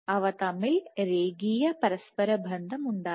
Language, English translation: Malayalam, There was kind of a linear correlation